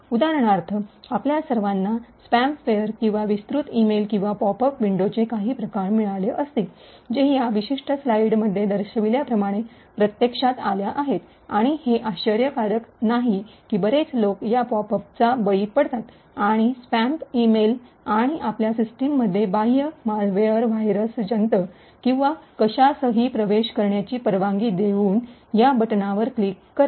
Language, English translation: Marathi, For example, all of us would have got some form of spam ware or expand emails or pop up windows that actually come up like as shown in this particular a slide and it is not surprising that many people actually fall prey to these pop ups and spam emails and would click on the buttons, pressing here as a result of this, it could trigger an external malware, virus or worm or anything to enter into your system